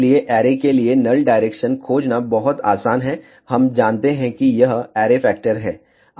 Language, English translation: Hindi, So, it is very easy to find the null direction for the array, we know that this is the array factor